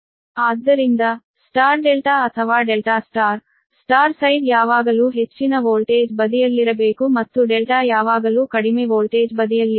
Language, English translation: Kannada, so star delta or delta, star star side should always be at the high voltage side and delta should be always low voltage side